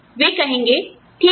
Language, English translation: Hindi, They will say, okay